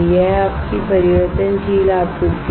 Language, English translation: Hindi, This is your variable supply